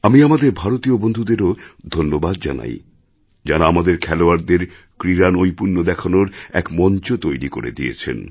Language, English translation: Bengali, I'm also thankful to our Indian friends who created a platform for our players to showcase their skills"